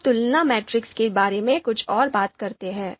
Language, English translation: Hindi, Now let’s talk a bit more about comparison matrix